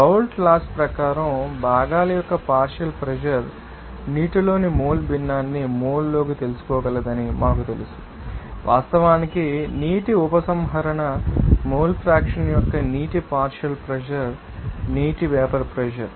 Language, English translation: Telugu, And then we know as per Raoult’s law that partial pressure of the components will be able to you know mole fraction in the water into you know, mole fact partial pressure of water withdrawal mole fraction of water into you know vapour pressure of the water